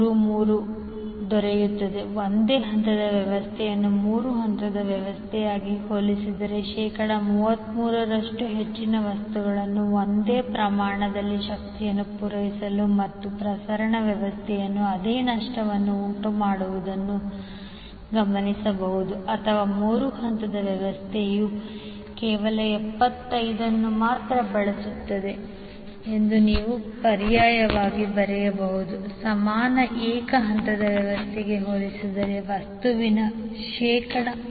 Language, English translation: Kannada, 33 So what you can observe now, you can observe that the single phase system will use 33 percent more material than the three phase system to supply the same amount of power and to incur the same loss in the transmission system or you can write alternatively that the three phase system will use only 75 percent of the material as compared with the equivalent single phase system